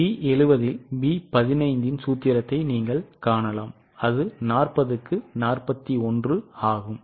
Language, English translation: Tamil, So, you can see the formula B 15 upon B 70, that is 41 upon 40, you will get 0